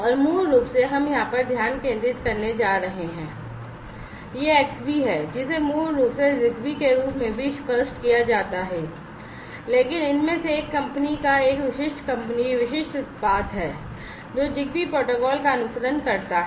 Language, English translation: Hindi, And basically we are going to focus over here, this Xbee, which is basically also pronounced as ZigBee, but is a product from one of these companies a specific company, specific product which follows the ZigBee protocol